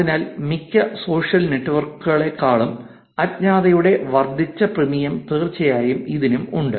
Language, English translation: Malayalam, So, there's definitely increased premium on anonymity than most social networks